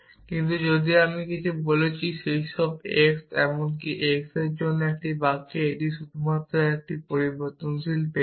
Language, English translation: Bengali, But if I said something like for all x even x it is a sentence it has got only one variable and it is something which is not true